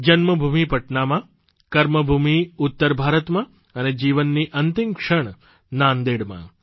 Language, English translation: Gujarati, His birthplace was Patna, Karmabhoomi was north India and the last moments were spent in Nanded